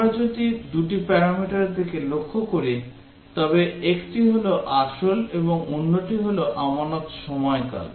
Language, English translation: Bengali, If we look at the two parameters, one is the principal, and the other is the period of deposit